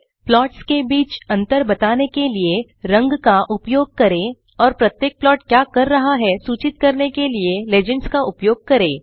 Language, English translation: Hindi, Use colors to differentiate between the plots and use legends to indicate what each plot is doing